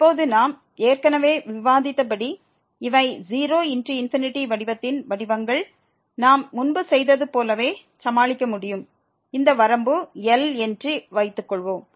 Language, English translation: Tamil, And now here as we have already discussed that these are the forms of 0 into infinity form which we can deal as we have done before and suppose that this limit is